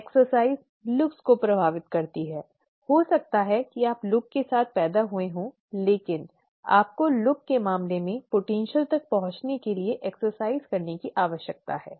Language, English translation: Hindi, The exercise affects the looks, maybe you are born with the looks but you need to exercise to reach the potential in terms of the looks